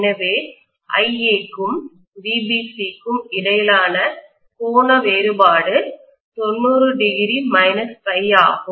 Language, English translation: Tamil, So what I am having as the angular difference between IA and VBC is 90 minus phi